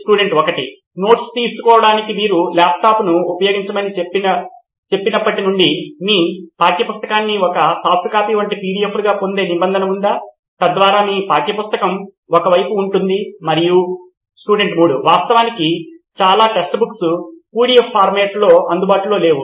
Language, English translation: Telugu, Now since you said you use laptop for taking notes, is there a provision where you get all your textbook as PDFs like a soft copy so that you have your textbook at the same side and… Actually most of the text books are not available in PDF